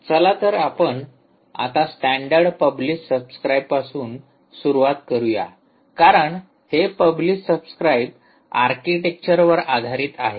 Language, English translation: Marathi, all right, so lets start with the standard: ah, publish subscribe, because this is based on the publish subscribe architecture